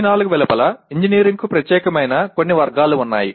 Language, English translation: Telugu, And there are some categories specific to engineering outside these four